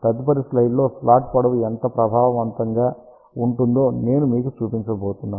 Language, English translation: Telugu, I am going to show you what is the effective the slot length in the next slide ok